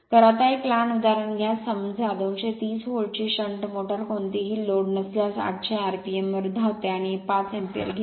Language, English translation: Marathi, So, next take one small example suppose a 230 volts shunt motor runs at 800 rpm on no load and takes 5 ampere